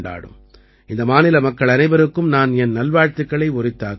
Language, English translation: Tamil, I convey my best wishes to the people of all these states